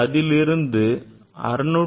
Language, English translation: Tamil, This is the 656